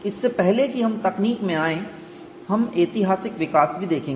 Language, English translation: Hindi, Before we get into the approach, we will also see the historical development